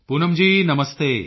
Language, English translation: Punjabi, Poonam ji Namaste